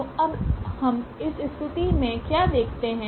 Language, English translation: Hindi, So, now what do we observe in this case